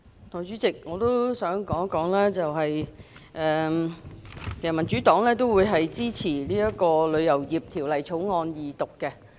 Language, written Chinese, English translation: Cantonese, 代理主席，民主黨會支持《旅遊業條例草案》的二讀。, Deputy President the Democratic Party supports the Second Reading of the Travel Industry Bill the Bill